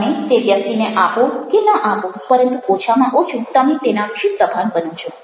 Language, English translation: Gujarati, you may or may not give that to a person, but at least you are aware of it